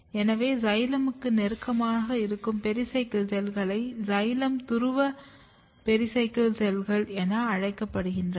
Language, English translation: Tamil, So, there are pericycle cell which is close to the xylem is called xylem pole pericycle cells